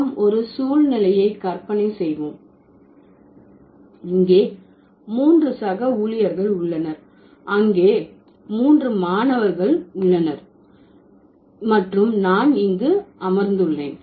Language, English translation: Tamil, And let's say imagine a situation here there are three colleagues, there are three students and I'm sitting here